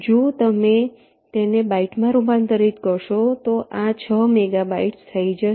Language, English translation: Gujarati, if you convert it to bytes, this becomes six megabytes